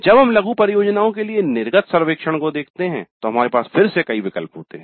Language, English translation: Hindi, When you look at the exit survey for mini projects we have again options